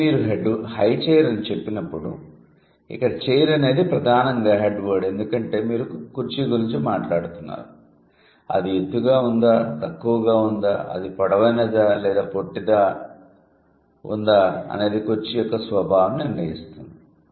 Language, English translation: Telugu, So, when you say high chair, the chair is mainly the head word because you are talking about a chair, whether it is high, whether it is low, whether it is tall or short, that will decide the nature of the chair